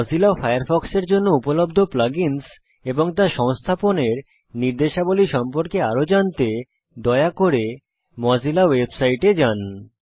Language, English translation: Bengali, To learn more about plug ins available for mozilla firefox and instructions on how to install them please visit the mozilla website